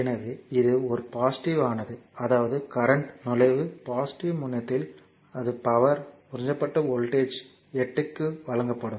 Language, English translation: Tamil, So, it is a positive; that means, as current entering into the positive terminal it will be power absorbed and voltage is given 8